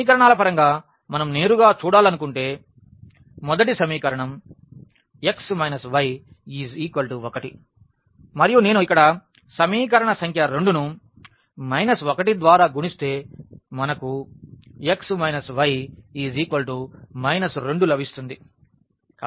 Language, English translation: Telugu, In terms of the equations if we want to see directly because, the first equation is x minus y is equal to 1 and if I multiply here the equation number 2 by minus 1 we will get x minus y is equal to minus 2